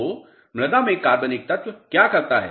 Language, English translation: Hindi, So, what organic matter does in soil